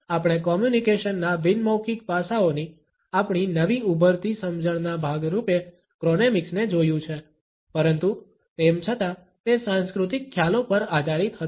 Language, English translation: Gujarati, We have looked at chronemics as a part of our newly emerging understanding of nonverbal aspects of communication, but still it was based on cultural perception